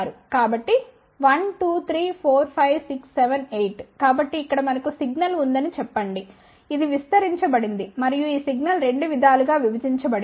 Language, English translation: Telugu, So, 1, 2, 3, 4, 5, 6, 7, 8 so let us say that we have a signal over here which is amplified and this signal is divided into two ways